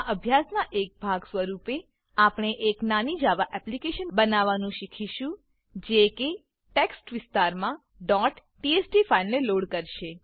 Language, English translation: Gujarati, As a part of this exercise, we will learn to create a small Java application that loads a .txt file into a Text Area